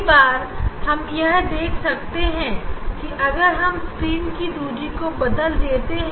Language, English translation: Hindi, sometimes we can see that if we if screen distance if we change